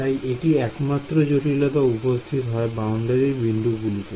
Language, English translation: Bengali, So, this is just this is the only complication that appears at the boundary points